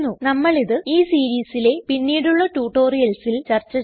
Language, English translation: Malayalam, We will discuss it in the later tutorials of this series